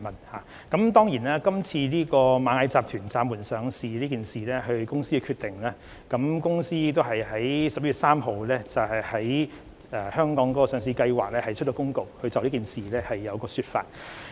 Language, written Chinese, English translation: Cantonese, 螞蟻集團今次暫緩上市是公司本身的決定，該公司亦已在11月3日就香港上市計劃發出公告，解釋事件。, The suspension of listing was decided by Ant Group . It issued an announcement about its listing plan in Hong Kong on 3 November to explain the suspension